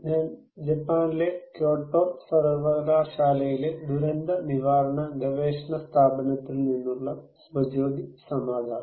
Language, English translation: Malayalam, I am Subhajyoti Samaddar from disaster prevention research institute, Kyoto University, Japan